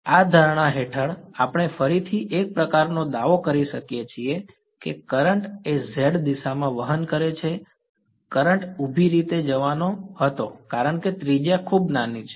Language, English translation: Gujarati, Under this assumption, we can again a sort of make a claim that the current is going to be z directed right; the current was going to go be going vertically up because the radius is very small